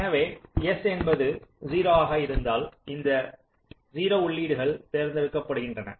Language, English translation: Tamil, so if s is zero, this zero input is selected